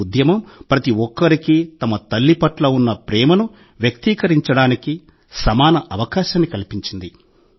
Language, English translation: Telugu, This campaign has provided all of us with an equal opportunity to express affection towards mothers